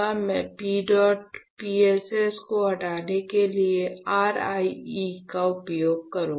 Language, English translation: Hindi, So, I will use RIE to remove P dot PSS